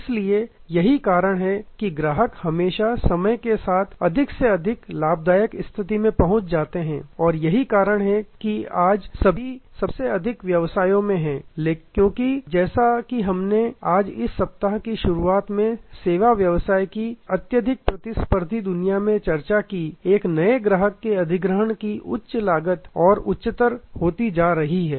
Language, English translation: Hindi, So, that is why customers always become more and more profitable over time and that is why today in all most all businesses, because as we discussed right in the beginning of this week in the hyper competitive world of service business today, the cost of acquiring a new customer is going higher and higher